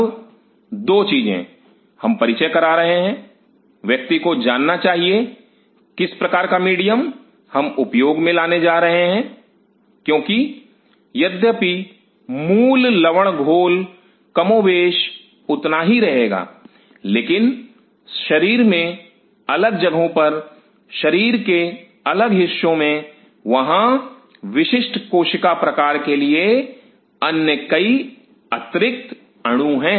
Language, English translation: Hindi, Now, 2 things; we are introducing one has to know what kind of medium, we are going to use because though the basic salt solution remain more or less same, but at different spots of the body different parts of the body, there are several other added molecules for specific cell types, these are cell type is specific you might wonder, how that is happening